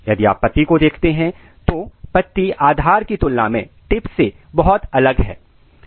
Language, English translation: Hindi, So, leaf at the base is very different than the tip